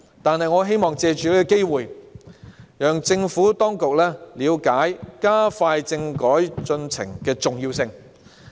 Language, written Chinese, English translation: Cantonese, 不過，我希望藉此機會讓政府當局了解加快政改進程的重要性。, However I would like to take this opportunity to let the Government understand the importance of accelerating the process of constitutional reform